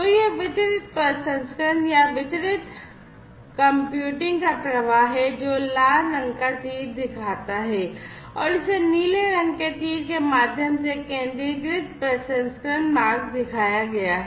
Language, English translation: Hindi, So, this is the flow of distributed processing or distributed computing the red colored arrow shows it and the centralized processing pathway is shown, through the blue colored arrow